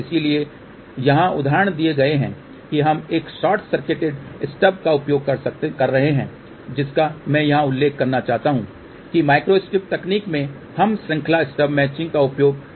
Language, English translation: Hindi, So, the examples are here we are using a short circuited stub I just want to mention here that in the micro strip technique we do not use series stub matching